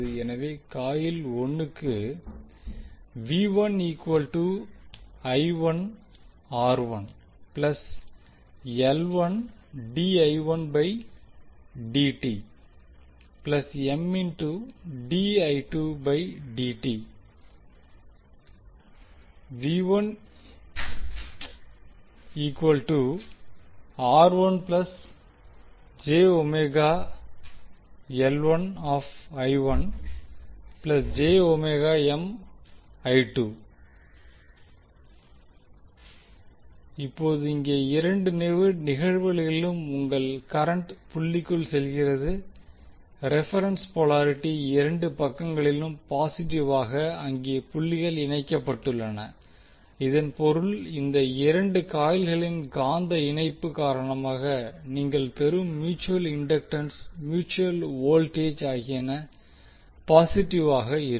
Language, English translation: Tamil, Now here in both of the cases your current is going inside the dot for reference polarity is positive in both of the sides where the dot is connected it means that the mutual inductance mutual voltage which you get because of the magnetic coupling of these two coils will be positive